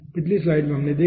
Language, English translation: Hindi, in the last slide we have seen